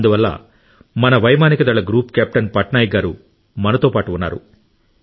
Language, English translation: Telugu, That is why Group Captain Patnaik ji from the Air Force is joining us